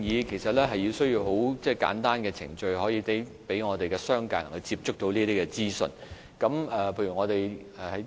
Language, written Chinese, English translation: Cantonese, 其實我們需要提供簡單的程序，方便商界人士接觸到這些資訊。, Indeed we need to provide simple procedures so that members of the business sector can obtain such information with ease